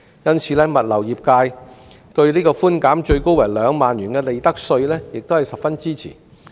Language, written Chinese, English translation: Cantonese, 因此，物流業界對寬免最高2萬元的利得稅亦十分支持。, Hence the logistic industry strongly supports the profits tax concession capped at 20,000